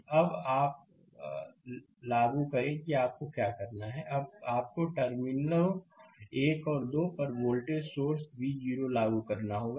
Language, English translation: Hindi, Now, apply now what you have to do is, now you have to apply a voltage source V 0 at terminals 1 and 2